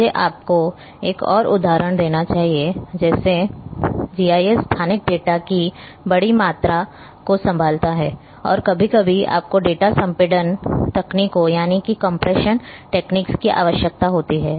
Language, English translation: Hindi, Let me one give you one more example like GIS handles large volumes of spatial data and sometimes you require data compression techniques